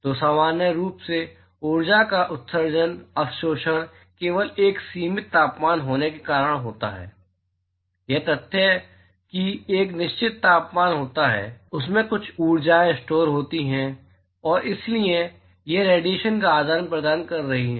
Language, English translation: Hindi, So, in general emits/absorbs energy simply by the virtue of it having a finite temperature ok, the fact that which has a certain temperature it has certain energies stored in it and therefore, it is exchanging radiation